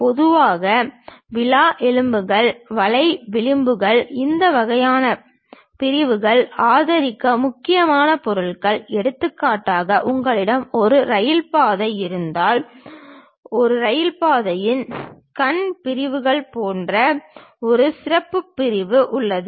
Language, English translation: Tamil, Typically these ribs, web, flanges this kind of sections are crucial materials to support; for example, like if you have a railway track, there is a track is having one specialized section like eye sections